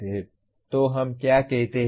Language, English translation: Hindi, So what do we say